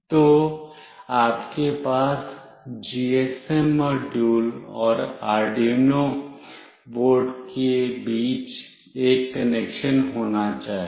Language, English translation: Hindi, So, you must have a connection between the GSM module and the Arduino board